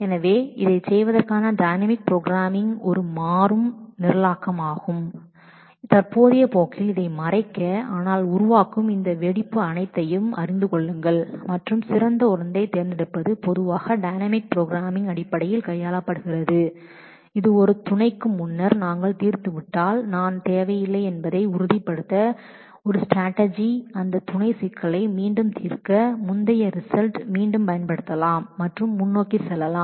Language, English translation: Tamil, So, the general strategy for doing this is a dynamic programming we would not be able to cover that in the current course, but just know that all these explosion of generating alternate and choosing the best one is usually handled in terms of dynamic programming which is a strategy to make sure that if we have solved a sub earlier then I do not need to solve that sub problem again we can just reuse that same earlier result and go ahead with that